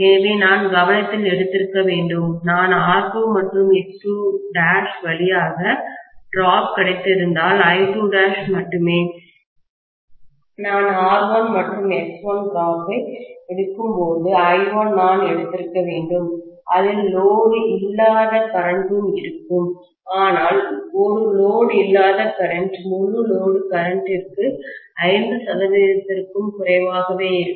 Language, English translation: Tamil, So, I should have taken into consideration, when I take the drop through R2 and X2 dash, only I2 dash, whereas when I take the drop in R1 and X1, should have taken I1, which will include the no load current as well, but a no load current is only less than 5 percent of the full load current